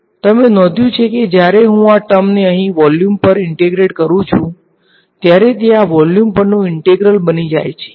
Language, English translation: Gujarati, We are you are getting to what I am getting to next, you notice that when I integrate this term over here over volume, this becomes an integral of this over volume right